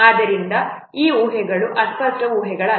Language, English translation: Kannada, So these assumptions are not vague assumptions